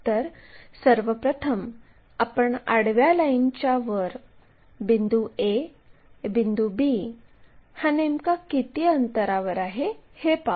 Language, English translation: Marathi, So, first of all we locate where exactly A point, B point are located in above horizontal plane